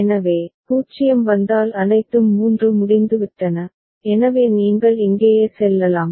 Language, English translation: Tamil, So, if 0 comes all 3 are done, so you will go to d over here right